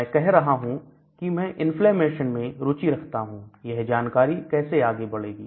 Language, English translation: Hindi, So, I am saying I am interested in inflammation, how does the inflammation progress